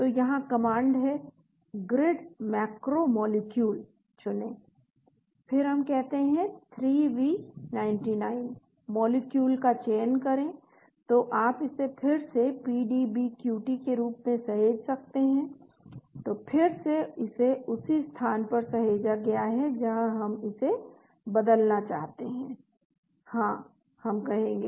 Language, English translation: Hindi, , so the command here is grid macro molecule, choose, then we say 3V99, select molecule, so you can save it as PDBQT again, so again it is saved in same place we want to replace it, Yes, we say